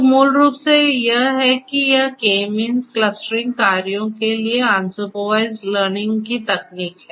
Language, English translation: Hindi, So, basically this is how this K means unsupervised learning technique for clustering works